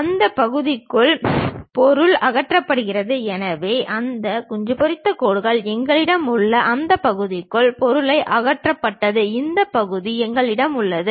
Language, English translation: Tamil, And material is removed within that portion, so we have those hatched lines; material is removed within that portion, we have this portion